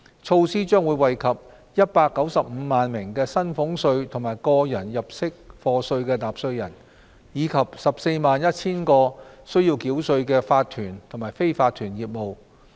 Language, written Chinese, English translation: Cantonese, 措施將惠及195萬名薪俸稅及個人入息課稅納稅人，以及 141,000 個須繳稅的法團及非法團業務。, The measures will benefit 1.95 million taxpayers of salaries tax and tax under personal assessment as well as 141 000 tax - paying corporations and unincorporated businesses